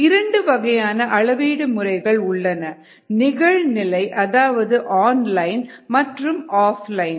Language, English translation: Tamil, there are two kinds of methods: ah, one online and the other off line